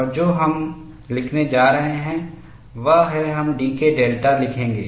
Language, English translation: Hindi, And what we are going to write is we will write dK delta